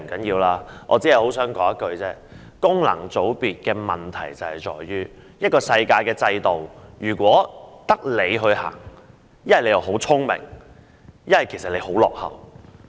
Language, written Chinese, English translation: Cantonese, 不過，我只想說一句，功能界別的問題在於：在世界上，一個制度如果只有你採用，要不是你很聰明，要不便是你很落後。, However I only wish to say a few words . The problem with FCs is that if in the world there is a system which is adopted only by you then you are either very smart or very outdated and FCs in Hong Kong are exactly a case in point